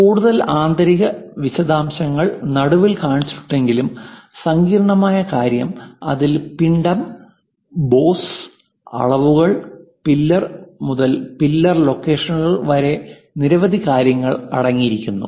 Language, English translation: Malayalam, The complicated thing though having many more inner details shown at the middle; it contains mass, pose, the dimensions, pillar to pillar locations, and many things